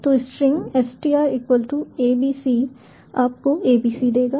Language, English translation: Hindi, so string str equal to abc will give you abc all together